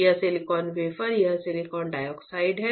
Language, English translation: Hindi, This silicon wafer, this is silicon dioxide